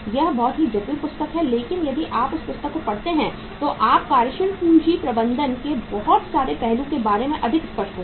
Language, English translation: Hindi, That is little complex book but if you read that book you will be more clear about the many aspects of the working capital management